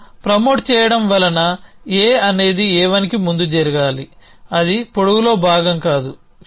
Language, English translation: Telugu, Promotion here promoting so A should happen before A 1 that is right holding is not part of length